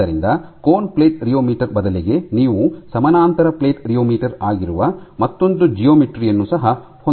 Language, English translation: Kannada, So, you can have a cone and plate rheometer, but a conical play as well as a parallel plate rheometer